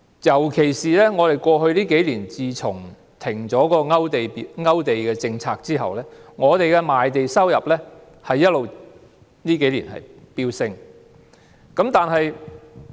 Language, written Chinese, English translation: Cantonese, 特別是在過去數年，自政府停止勾地政策後，我們的賣地收入一直飆升。, In particular in the past few years since the Government stopped the Application List policy our revenue from land sales has been surging